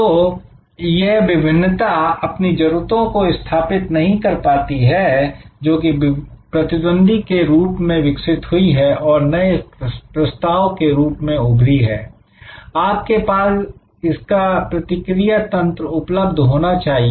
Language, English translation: Hindi, So, this differentiation is not setting it needs to evolve as the competitors will come up with new offerings you have to have a response mechanism